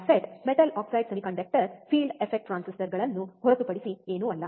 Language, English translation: Kannada, MOSFET is nothing but metal oxide semiconductor field effect transistors